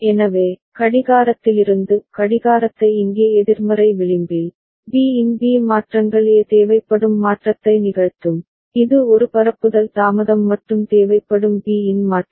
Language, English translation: Tamil, So, from the clock clocking instant over here the negative edge, B changes change of B will take place change of A required that is one propagation delay plus change of B that is required